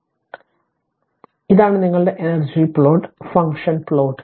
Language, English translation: Malayalam, So, this is your energy plot function plot